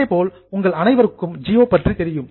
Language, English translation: Tamil, Similarly, nowadays most of you know Gio